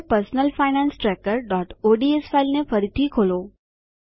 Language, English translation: Gujarati, Now open the Personal Finance Tracker.ods file again